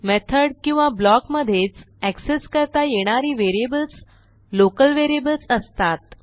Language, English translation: Marathi, Local variables are variables that are accessible within the method or block